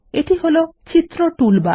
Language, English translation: Bengali, This is the Picture toolbar